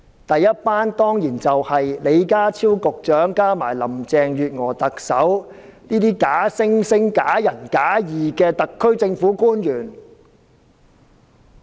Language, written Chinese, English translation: Cantonese, 第一夥當然是李家超局長加上特首林鄭月娥，這些假惺惺、假仁假義的特區政府官員。, The first is of course the pretentious and hypocritical SAR officials such as Secretary John LEE and Chief Executive Carrie LAM